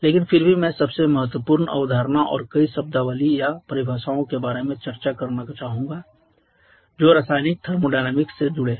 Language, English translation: Hindi, But still I would like to discuss about the most important concept and the several terminologies or definitions which are associated with the chemical thermodynamics